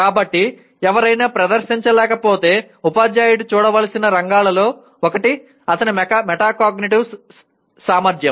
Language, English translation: Telugu, So if somebody is not able to perform, one of the areas the teacher should look at is his metacognitive ability